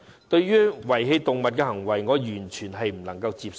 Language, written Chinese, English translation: Cantonese, 對於遺棄動物的行為，我完全不能接受。, I find it totally unacceptable to abandon animals